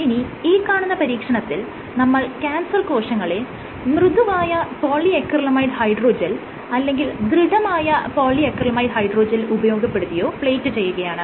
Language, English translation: Malayalam, This is an experiment in which these cancer cells have been plated on soft polyacrylamide hydrogels or on stiff polyacrylamide hydrogels